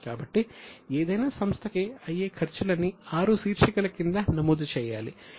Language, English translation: Telugu, So, all the expenses for any company are to be put under six heads